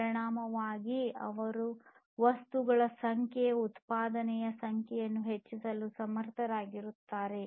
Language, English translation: Kannada, And consequently, they are able to increase the number of production of the number of objects and so on